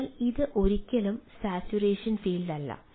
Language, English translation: Malayalam, so it is never a saturation field, right, it is always